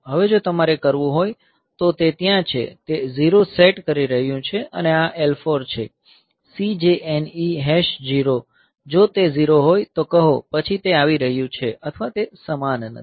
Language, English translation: Gujarati, Now if you want to do; so that is there, so that is setting 0 and this L 4 is so, CJNE hash 0 say if it is 0; then it is coming to; so it is otherwise it is not same